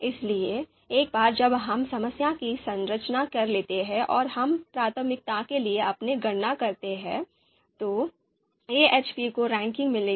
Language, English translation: Hindi, So once we structure the problem and we have you know we do our computation for priority, then AHP will get the ranking so the method and implementation would be over